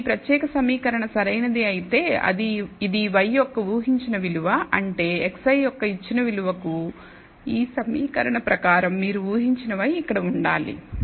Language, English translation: Telugu, Now, the line if this particular equation is correct then this is the predicted value of y, which means for this given value of x i according to this equation you believe y predicted should be here